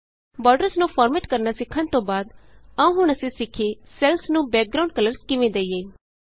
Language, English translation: Punjabi, After learning how to format borders, now let us learn how to give background colors to cells